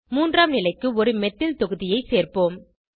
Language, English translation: Tamil, Let us add a Methyl group to the third position